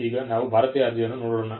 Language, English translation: Kannada, Now, let us look at an Indian application